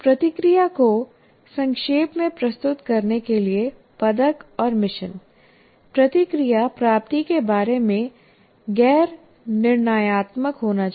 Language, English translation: Hindi, Now to summarize the feedback, medal and mission feedback should be non judgmental about attainment